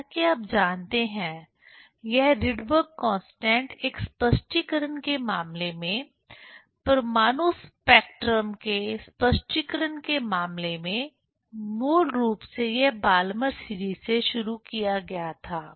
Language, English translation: Hindi, As you know, this Rydberg constant in case of an explanation, in case of an explanation of the atomic spectrum, basically it was started from Balmer series